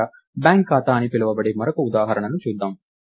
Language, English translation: Telugu, Finally, lets look at another example called bank account